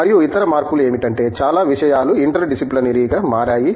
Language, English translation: Telugu, And, the other change that has taken place is many things have become interdisciplinary